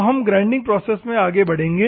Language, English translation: Hindi, Now, we will move on to the grinding process